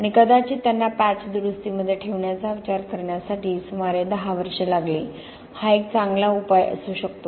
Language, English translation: Marathi, And it probably took about 10 years for them to consider actually putting it in patch repairs, may be a good solution